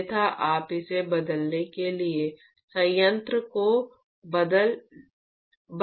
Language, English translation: Hindi, Otherwise you do not want to shut the plant to change this